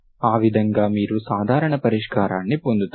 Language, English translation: Telugu, That is how you get the general solution